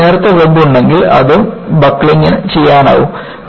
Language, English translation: Malayalam, If you have a thin web, it can buckle also